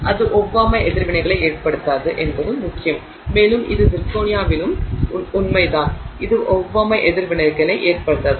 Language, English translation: Tamil, It is also important that it does not cause allergic reactions and this is also true with zirconia, it does not cause allergic reactions